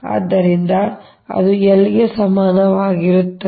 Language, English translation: Kannada, so l is equal to